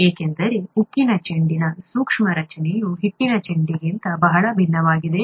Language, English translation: Kannada, Because the microscopic structure of the steel ball is very different from that of the dough ball